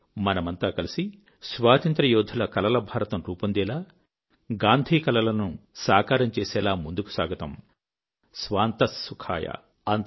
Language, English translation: Telugu, Come, let us all march together to make the India which was dreamt of by our freedom fighters and realize Gandhi's dreams 'Swantah Sukhayah'